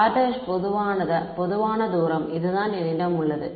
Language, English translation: Tamil, R prime is some general distance right this is what I have